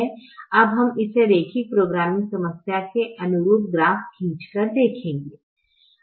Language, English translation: Hindi, now we try to draw the graph for this linear programming problem